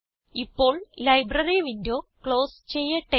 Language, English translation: Malayalam, Now, lets close the Library window